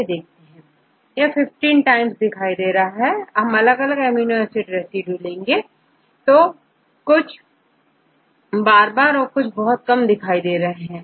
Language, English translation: Hindi, If you look into this occurrence of different amino acid residues, some amino acids occur very frequently or many more times